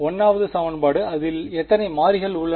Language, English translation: Tamil, The 1st equation how many variables are in it